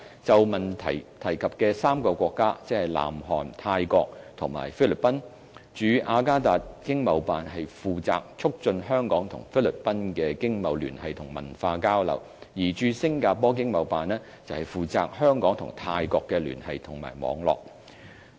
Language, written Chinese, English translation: Cantonese, 就質詢提及的3個國家，即南韓、泰國及菲律賓，駐雅加達經貿辦負責促進香港與菲律賓的經貿聯繫和文化交流，而駐新加坡經貿辦則負責香港與泰國的聯繫和網絡。, As regards the three countries referred to in the question viz South Korea Thailand and the Philippines the Jakarta ETO is responsible for enhancing economic ties and cultural exchanges between Hong Kong and the Philippines while the Singapore ETO is responsible for strengthening ties and networks between Hong Kong and Thailand